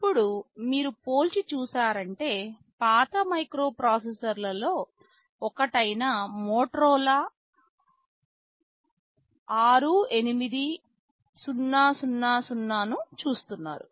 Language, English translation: Telugu, Now, in comparison you see one of the older microprocessors Motorola 68000